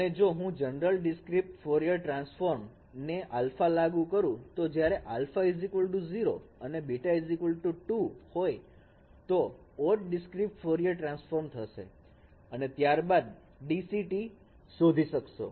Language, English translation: Gujarati, And if I apply the alpha that general discrete Fourier transform when alpha equal to 0 and b equal to half, that is odd time discrete Fourier transform, then you will find it is a type 2 eventicity